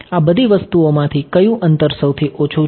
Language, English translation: Gujarati, Of all of these things which of the distances is the shortest